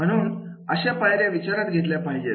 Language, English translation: Marathi, So these steps are to be taken care of